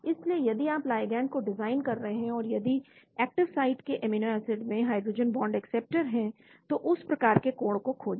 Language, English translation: Hindi, So if you are designing ligand and if there are hydrogen bond acceptors in the amino acids in the active site, then look for that sort of angle